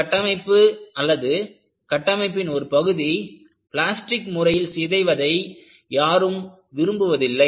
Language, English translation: Tamil, People did not want to have the structure, any part of the structure, to become plastically deformed